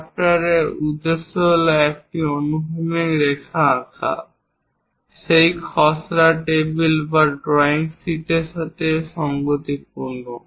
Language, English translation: Bengali, The objective of drafter is to draw a horizontal line, in line with that drafting table or the drawing sheet